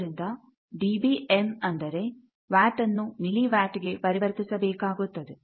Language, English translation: Kannada, So, dB m means that you convert this watt to milli watt